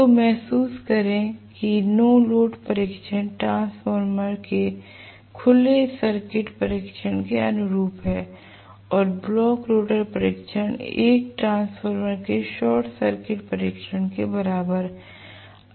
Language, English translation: Hindi, So, please realize that the no load test is corresponding to open circuit test of a transformer and block rotor test is equal to short circuit test of a transformer